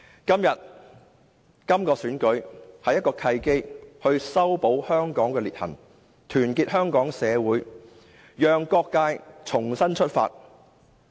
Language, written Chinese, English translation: Cantonese, 今次特首選舉是修補香港的裂痕、團結香港社會的契機，讓各界重新出發。, This Chief Executive Election offers an opportunity to resolve dissension in Hong Kong and unite people from all strata of society so that various sectors can have a new start